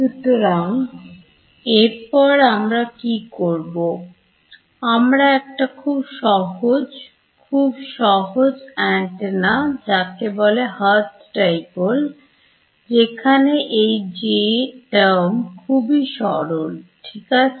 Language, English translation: Bengali, So, what we will do next is we look at a simple; very very simple antenna which is called a Hertz Dipole where this J term is extremely simple ok